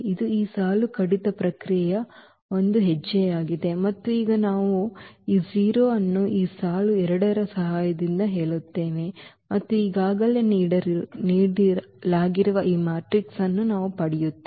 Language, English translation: Kannada, So, this is the one step of this row reduction process and now we will said this 0 with the help of this row 2 and we will get this matrix which is given already there